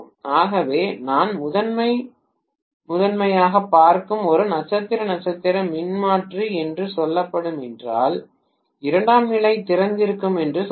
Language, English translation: Tamil, So if I am having let us say a star star transformer I am looking at mainly the primary, let us say secondary is open